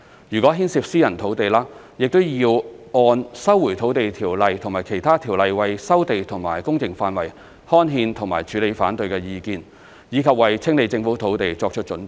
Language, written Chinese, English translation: Cantonese, 如果牽涉私人土地，亦要按《收回土地條例》和其他條例為收地和工程範圍刊憲和處理反對意見，以及為清理政府土地作出預備。, 131 followed by detailed engineering and architectural designs the gazettal of land resumption and works area and the handling of objections under the Lands Resumption Ordinance Cap . 124 and other ordinances if any private lot is involved as well as the preparation for clearance of Government land